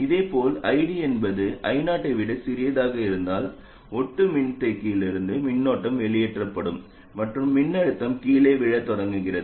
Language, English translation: Tamil, And similarly, if ID is smaller than I 0, then a current will be pulled out of the parasitic capacitor and the voltage starts falling down